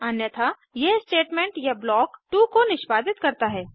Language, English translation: Hindi, Else, it executes Statement or block 2